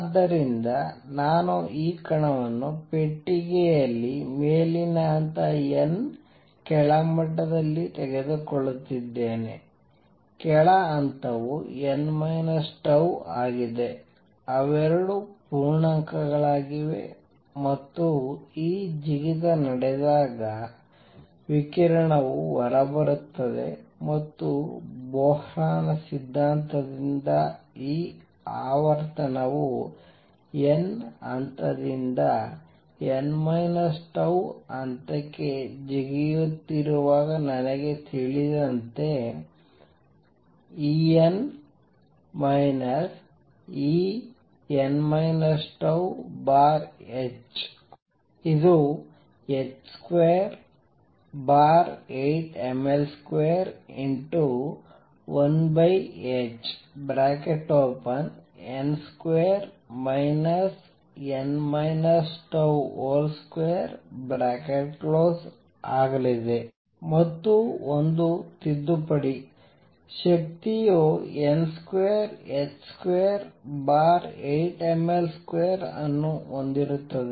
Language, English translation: Kannada, So, I am taking this particle in a box at an upper level n lower level; lower level is n minus tau, they both are integers and when this jump takes place, radiation comes out and from Bohr’s theory, I know that this frequency nu when it is jumping from nth level to n minus tau th level is going to be E n minus E n minus tau divided by h which is going to be h square over 8 m L square 1 over h n square minus n minus tau square, a correction; the energy has h square over 8 m L square times n square